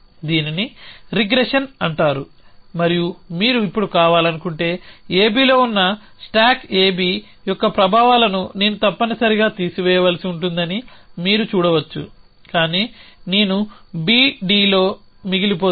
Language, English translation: Telugu, So this is called regression and if you want to now, over this you can see that I must remove the effects of stack A B which is on A B, but I would be left with on B D